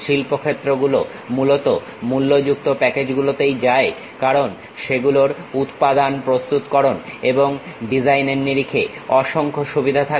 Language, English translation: Bengali, Industry mainly goes with paid packages because they have multiple advantages in terms of preparing and design materials